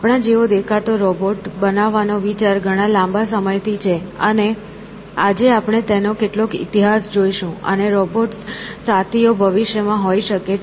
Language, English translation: Gujarati, So, this idea of creating robots in the image of us has been around for a long time, and we will look at some of this history today; and, robotic companions could well be there in the future essentially